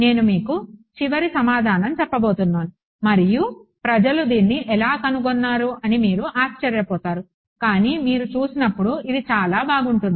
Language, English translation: Telugu, So, I am going to tell you the final answer and you will wonder how did people come up with it, but you will see when you see it, it is very elegant